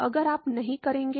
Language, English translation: Hindi, Now, you will not